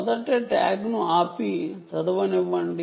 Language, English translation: Telugu, ah, the tag refuses to read